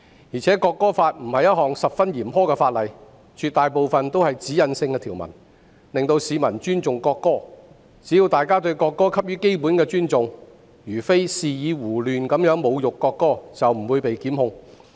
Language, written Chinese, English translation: Cantonese, 而且《條例草案》並非十分嚴苛的法例，絕大部分都是指引性條文，令市民尊重國歌，只要大家給予國歌基本的尊重，而非肆意胡亂侮辱國歌，便不會被檢控。, Moreover the Bill per se is not very harsh . Most of the provisions are directional in nature so as to inspire public respect for the national anthem . There will not be any prosecution as long as people show basic respect for the national anthem and refrain from insulting it arbitrarily